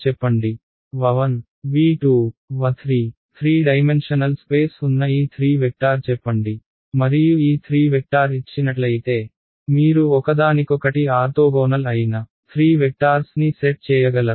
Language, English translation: Telugu, Let us say these 3 vectors wherein 3 dimensional space and I say that given these 3 vectors, can you construct a set of 3 vectors which are all orthogonal to each other